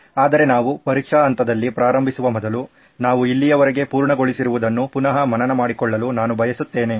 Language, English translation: Kannada, But before we begin on the test phase, I would like to recap what we have covered so far